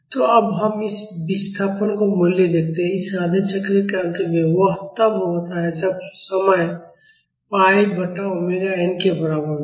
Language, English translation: Hindi, So, now let us see the value of this displacement when at the end of this half cycle; that is when time is equal to pi by omega n